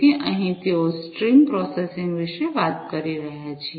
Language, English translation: Gujarati, So, here they are talking about stream processing